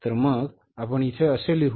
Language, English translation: Marathi, So how we would write here